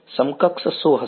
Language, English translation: Gujarati, What will be the equivalent